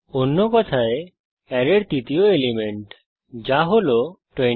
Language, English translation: Bengali, In other words, the third element in the array i.e.29